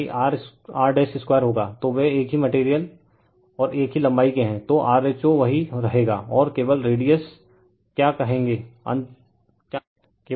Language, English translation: Hindi, So, they are of the same material and same length right, so rho will remain same and your what you call only radius will be difference